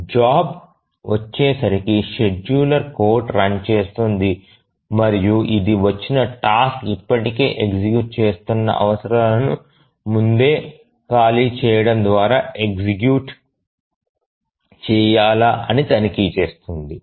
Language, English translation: Telugu, So as the job arrives, the scheduler code starts running and checks whether this is a task which has arrived needs to be executed by preempting the already executing task